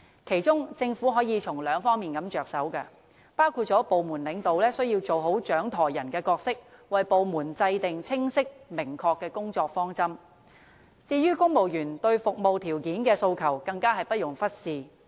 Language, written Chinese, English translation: Cantonese, 其中，政府可從兩方面着手，包括部門領導需要做好"掌舵人"的角色，為部門制訂清晰、明確的工作方針；至於公務員對服務條件的訴求，更加是不容忽視的。, The Government should adopt a two - pronged approach under which department managements do their helmsmens job properly and formulate for their respective department clear work directions; and meanwhile appeals from the civil service on their terms of service should all the more be heeded properly